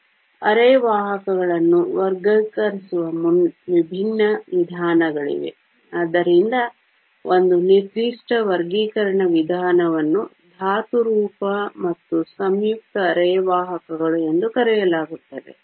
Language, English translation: Kannada, So, there different ways of classifying semiconductors, so one particular method of classification is called elemental and compound semiconductors